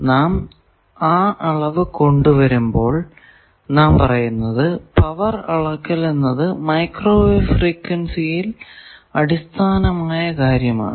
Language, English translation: Malayalam, When we introduce measurements, we say that power measurement is another very fundamental being at micro wave frequency